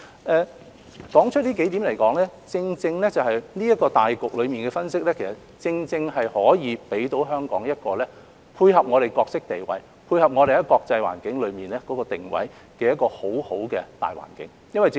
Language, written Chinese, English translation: Cantonese, 我指出以上數點是因為這個對大局的分析，正正可以給予香港一個既配合其角色地位，亦可發揮其在國際環境中的定位的一個很好的大環境。, I mentioned these few points because this analysis of the overall situation enables Hong Kong to identify a suitable role and give play to its position in the international environment